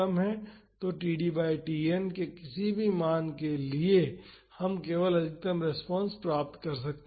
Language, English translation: Hindi, So, for any value of td by Tn we just can find the maximum response